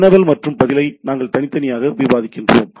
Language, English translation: Tamil, We discuss the query and response separately